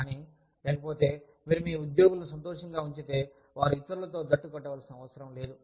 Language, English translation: Telugu, But, otherwise, if you keep your employees happy, they do not feel, the need to get together